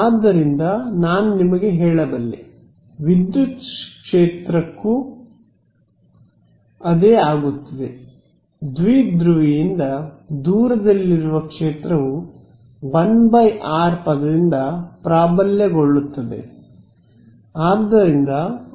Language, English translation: Kannada, So, the and the same without yet deriving it I can tell you that the same will happen for the electric field also, the field far away from the dipole will be dominated by a 1 by r term